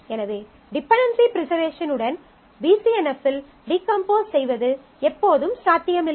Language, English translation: Tamil, So, it is not always possible to decompose into BCNF with dependency preservation